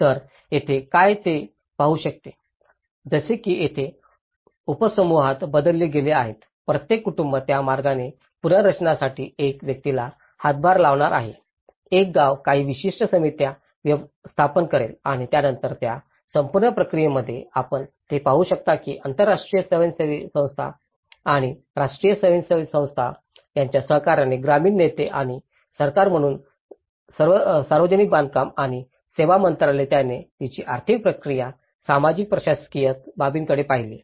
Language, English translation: Marathi, So, here, what one can look at it is; like here they channelled into subgroups, each family is going to contribute one person for the reconstruction that way, one village will form certain committees and then in that whole process, you can see that village leaders in collaboration with international NGO and the national NGO and as the government, the Ministry of Public Works and Services who also looked at the financial process of it, the shared administrative aspect